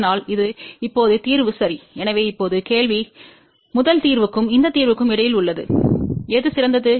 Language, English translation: Tamil, So, this is now the solution ok, so now, the question is between the first solution and this solution which one is better